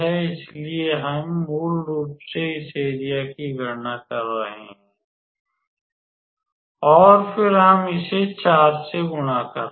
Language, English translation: Hindi, So, we are basically calculating this area and then we are multiplying it by 4